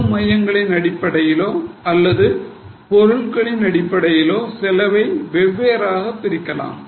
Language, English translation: Tamil, So, different costs can be divided as per cost centres or as per products